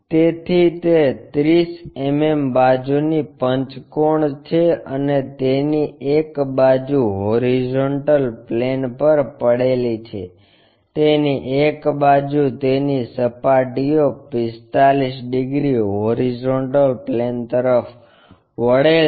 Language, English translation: Gujarati, So, it is a pentagon of 30 mm side and one of the side is resting on horizontal plane, on one of its sides with its surfaces 45 degrees inclined to horizontal plane